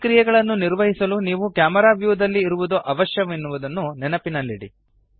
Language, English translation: Kannada, Do remember that to perform these actions you need to be in camera view